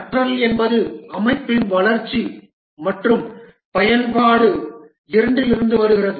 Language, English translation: Tamil, Learning comes from both the development and use of the system